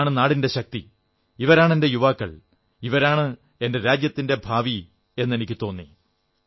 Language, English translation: Malayalam, These are the strength of our nation, they are my youth, they are the future of my country